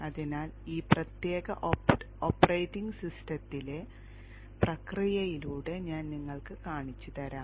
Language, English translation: Malayalam, So I will show you by taking a walk through the process in this particular operating system